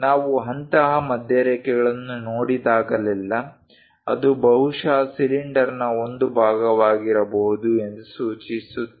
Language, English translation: Kannada, Whenever we see such kind of center lines, that indicates that perhaps it might be a part of cylinder